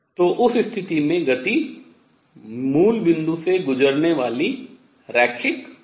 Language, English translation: Hindi, So, in that case the motion will be linear passing through the origin